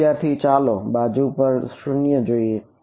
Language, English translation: Gujarati, Let us see that side the 0